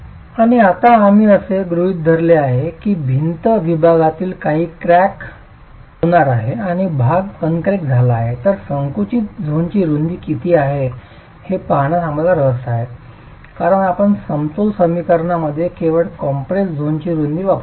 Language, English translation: Marathi, And now since we have assumed that part of the wall section is going to be cracked and part is uncracked, we are interested in looking at what is the compressive length of the width of the compressed zone because you can use only the width of the compressed zone in your equilibrium equations